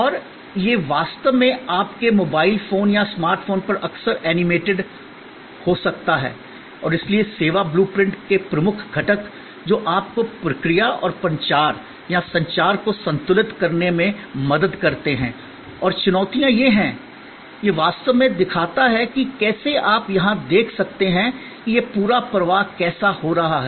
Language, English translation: Hindi, And it can actually be often animated on your mobile phone or a smart phone and so the key components of a service blue print, which help you to balance the process and the promotion or the communication and the challenges are these, this is actually shows how you can see here, this is the how the whole flow is happening